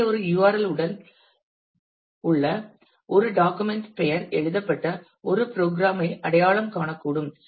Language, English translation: Tamil, So, a document name in a URL may identify a program that is written that generate